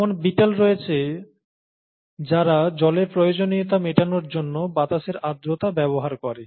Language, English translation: Bengali, There are beetles which use moisture in the air for their water requirements